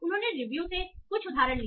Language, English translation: Hindi, So, they took some example from review